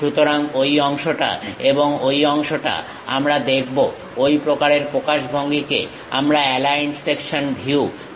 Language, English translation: Bengali, So, that part and that part we will see; such kind of representation we call aligned section views